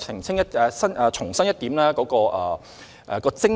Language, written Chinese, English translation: Cantonese, 然而，我想重申我們的精神。, However I want to reiterate our spirit